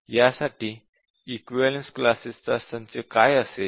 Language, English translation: Marathi, So, what will be the set of equivalence classes